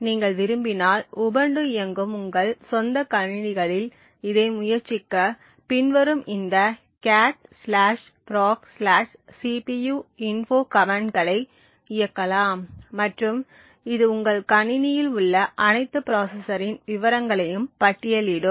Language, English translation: Tamil, If you want to try this on your own system which is running Ubuntu you can run the commands cat /proc/cpuinfo and it would list details of all the processor present in your system